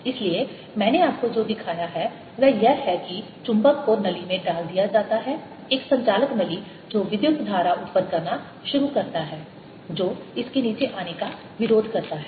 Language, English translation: Hindi, so what i have shown you is, as the magnet is put it in the tube, a conducting tube, it starts generating current that opposes its coming down